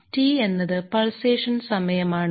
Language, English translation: Malayalam, T is the period of pulsation